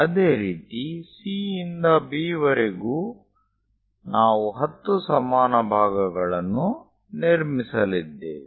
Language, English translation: Kannada, Similarly, from C to B also 10 equal parts we are going to construct